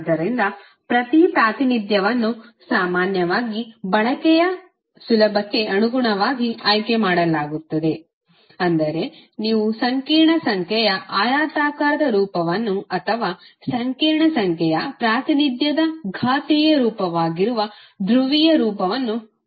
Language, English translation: Kannada, That is either you will use the rectangular form of the complex number or the polar form that is exponential form of the complex number representation